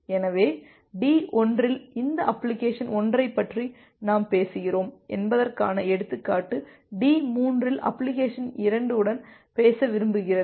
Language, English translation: Tamil, So, the example that we are talking about that application 1 on D1 wants to talk with application 2 at D3